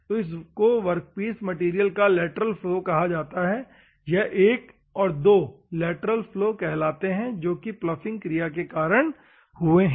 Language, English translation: Hindi, So, this is called lateral flow of the workpiece material, this 1 and 2 is called as a lateral flow, which is because of the ploughing action